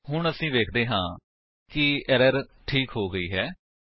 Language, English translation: Punjabi, Now we see that the error is resolved